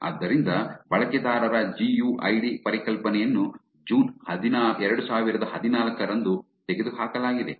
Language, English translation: Kannada, So, the user GUID concept was removed on June 2014